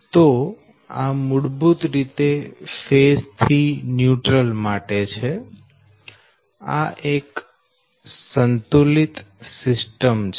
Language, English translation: Gujarati, so this is basically one phase to neutral, right, it is a balanced system